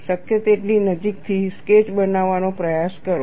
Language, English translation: Gujarati, Try to make a sketch, as closely as possible